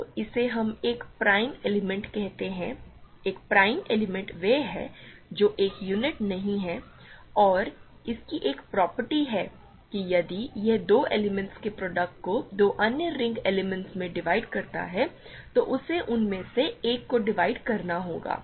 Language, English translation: Hindi, So, this is what we call a prime element, a prime element is one which is not a unit and it has a property that if it divides a product of two elements two other ring elements, it must divide one of them